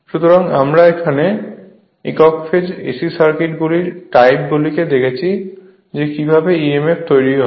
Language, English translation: Bengali, So, when you studied that your single phase AC circuits are the type we showed that how emf is generated